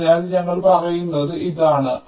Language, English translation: Malayalam, so this is what i was trying to say